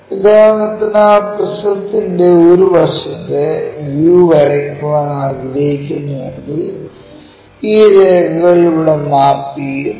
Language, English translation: Malayalam, If I would like to draw a side view of that prism for example, from this direction I would like to visualize